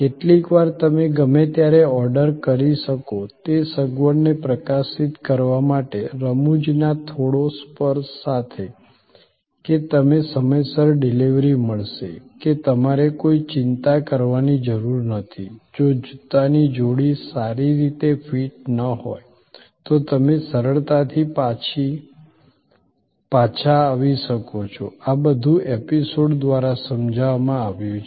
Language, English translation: Gujarati, Sometimes with the little bit touch of humor to highlight the convenience that you can order any time; that you will get timely delivery; that you need not have any worry if the pair of shoes does not offer good fit, you can return easily, all these are explained through episodes